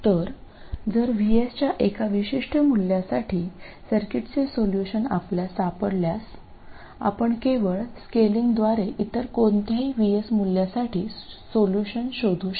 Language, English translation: Marathi, So, if you find solutions, if you find the solution to the circuit for one particular value of VS, you can find it for any other value simply by scaling